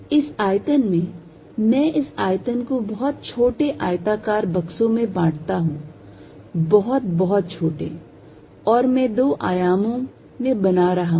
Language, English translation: Hindi, In this volume I divide this volume into very small rectangular boxes very, very small I am making into two dimensions